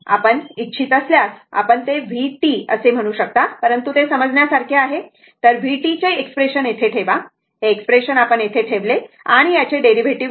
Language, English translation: Marathi, So, put the expression of v t here, this expression you put it here right and take the derivative of this one